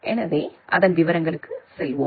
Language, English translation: Tamil, So, let us go to the details of that